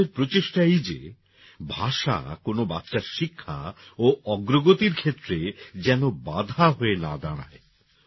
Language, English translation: Bengali, It is our endeavour that language should not become a hindrance in the education and progress of any child